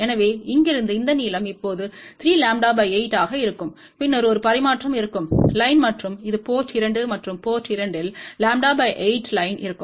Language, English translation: Tamil, So, from here this length will be now 3 lambda by 8, then there will be a transmission line and this is the port 2 and at port 2 there will be a lambda by 8 line